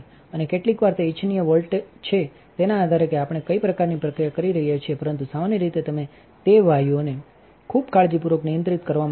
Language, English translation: Gujarati, And sometimes that is desirable volt depending what kind of process we are doing, but generally you want to control those gases very carefully